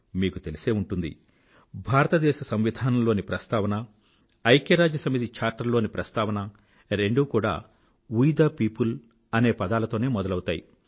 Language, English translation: Telugu, You may be aware that the preface of the Indian Constitution and the preface of the UN Charter; both start with the words 'We the people'